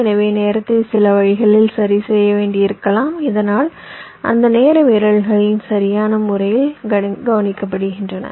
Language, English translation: Tamil, so you may have to adjust the timing in some in some way so that those timing violations are addressed right